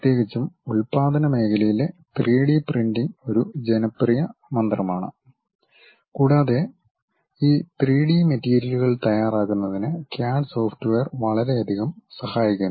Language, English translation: Malayalam, Especially, these days in manufacturing sector 3D printing is a popular mantra and CAD software helps a lot in terms of preparing these 3D materials